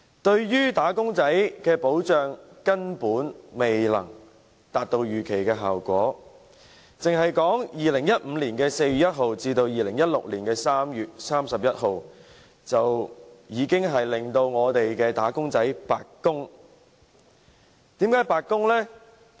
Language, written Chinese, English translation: Cantonese, 對於"打工仔"的保障，根本未能達到預期效果，單是2015年4月1日至2016年3月31日，已令"打工仔"白白供款，為甚麼？, It cannot in the least achieve the desired results in affording wage earners protection . From 1 April 2015 to 31 March 2016 alone the contributions made by wage earners all came to naught